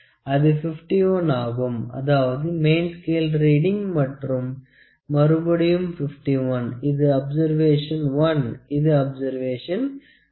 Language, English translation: Tamil, So it is about 51, main scale readings are again 51; this is observation 1, then observation 2